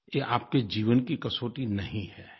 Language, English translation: Hindi, But it is not a test of your life